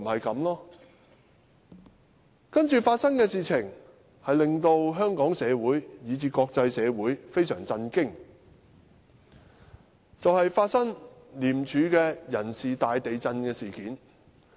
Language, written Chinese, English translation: Cantonese, 接着發生的事情令香港社會以至國際社會非常震驚，也就是廉署人事大地震事件。, What happened subsequently greatly shocked Hong Kong society and even the international community and that is there came the earth - shattering staff reshuffle in ICAC